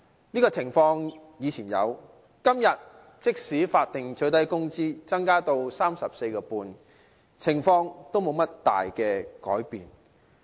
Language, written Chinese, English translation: Cantonese, 這種情況以前有，即使現在法定最低工資增至 34.5 元，情況仍然沒有多大改變。, This situation existed before and remains largely unchanged despite the Statutory Minimum Wage SMW being increased to 34.5 now